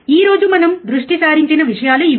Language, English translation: Telugu, These are the things that we are focusing today